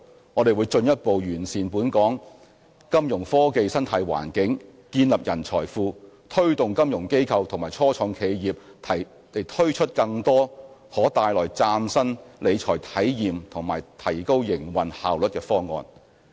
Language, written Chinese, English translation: Cantonese, 我們會進一步完善本港金融科技生態環境，建立人才庫，推動金融機構及初創企業推出更多可帶來嶄新理財體驗和提高營運效率的方案。, We will further enhance the local Fintech ecology build a pool of talent and encourage financial institutions and start - ups to introduce more initiatives that would produce new experience in financial management and improve operational efficiency